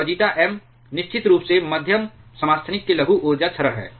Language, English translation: Hindi, And zeta M is of course, the logarithmic energy decrement of the moderating isotope